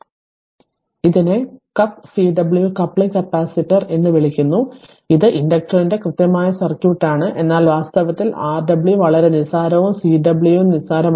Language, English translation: Malayalam, So, this is called cup Cw coupling capacitor so this is a exact circuit for the inductor, but in reality Rw is very negligible and Cw also negligible